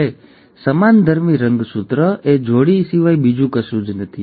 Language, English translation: Gujarati, Now homologous chromosome is nothing but the pair